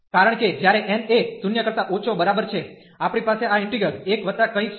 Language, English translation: Gujarati, Because, when n is less than equal to 0, we have this integral 1 plus something